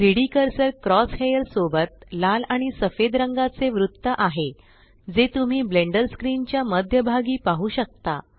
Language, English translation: Marathi, The 3D Cursor is the red and white ring with the cross hair that you see at the centre of the Blender screen